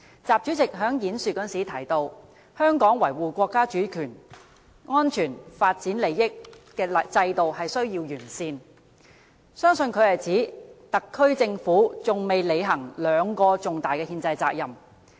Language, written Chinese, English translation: Cantonese, 習主席的演說提及，香港維護國家主權、安全、發展利益的制度需要完善，相信他是指特區政府還未履行兩個重大的憲制責任。, In his speech President XI says that Hong Kong needs sound systems to uphold national sovereignty security and development interests . I believe he is referring to the two major constitutional responsibilities yet to be fulfilled by the SAR Government